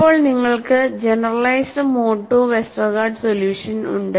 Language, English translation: Malayalam, So, now, you have the generalized mode 2 Westergaard solution